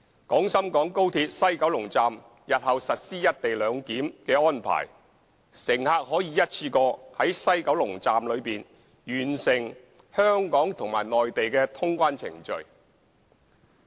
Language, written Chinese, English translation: Cantonese, 廣深港高鐵西九龍站日後實施"一地兩檢"安排，乘客可以一次過在西九龍站內完成香港和內地通關程序。, After the co - location arrangement is implemented at the West Kowloon Station of XRL in the future passengers can complete clearance procedures of both Hong Kong and the Mainland at the West Kowloon Station in one go